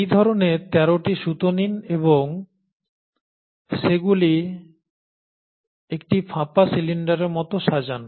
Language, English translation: Bengali, Now take such 13 such strings and arrange them in the form of a cylinder, a hollow cylinder